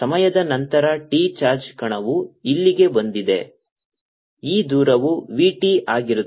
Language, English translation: Kannada, after time t with charge particle, come here, this distance between v, t and now